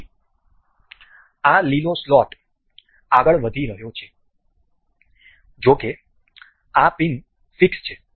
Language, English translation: Gujarati, So, this green slot is moving however this pin is fixed